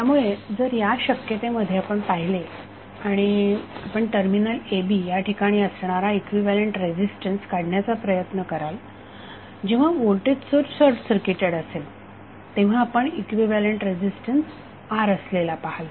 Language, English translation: Marathi, So if you see this case and you are trying to find out equivalent resistance across ab when voltage source is short circuited you will see equivalent resistance is R